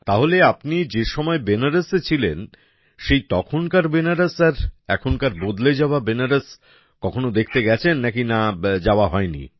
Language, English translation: Bengali, So, did you ever go to see the Banaras of that time when you were there earlier and the changed Banaras of today